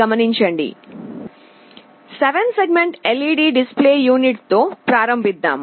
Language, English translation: Telugu, Let us start with 7 segment LED display unit